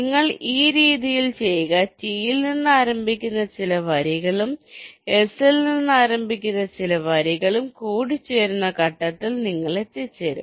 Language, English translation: Malayalam, you do in this way and you will reaches stage where some line starting with from t and some line starting with s will intersect